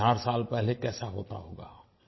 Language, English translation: Hindi, How would society be a thousand years ago